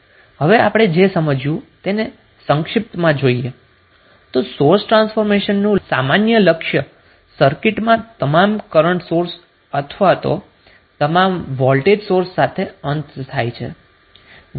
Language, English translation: Gujarati, Now in summary what we can say that the common goal of the source transformation is to end of with either all current sources or all voltage sources in the circuit